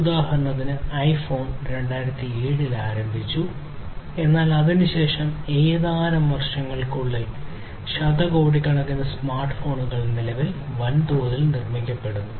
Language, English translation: Malayalam, iPhone was launched in 2007, but since then only within few years, billions of smartphones are being mass produced at present